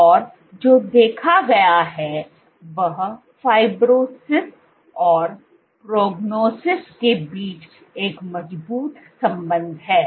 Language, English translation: Hindi, And what has been observed is there is a strong correlation between fibrosis and prognosis